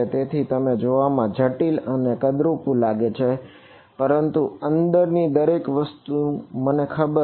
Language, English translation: Gujarati, So, it may be looking complicated and ugly, but ever thing inside this is known to me